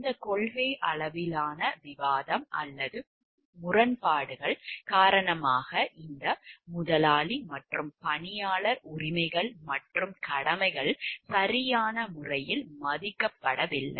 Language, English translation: Tamil, Due to this policy level discussions or discrepancies these rights and duties the employer and employee rights and duties have not been honored in a proper way